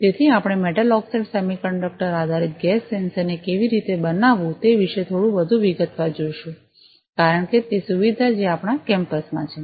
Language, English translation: Gujarati, So, we will look at in little bit more detail about how to fabricate a metal oxide semiconductor based gas sensor because that is the facility that, we have in our campus